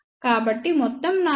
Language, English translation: Telugu, So, overall noise figure is 1